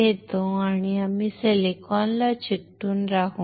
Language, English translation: Marathi, So, I take a substrate and we will stick to silicon